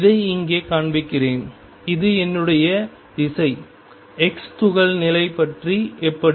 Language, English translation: Tamil, Let me show it here this is my direction x, how about the position of the particle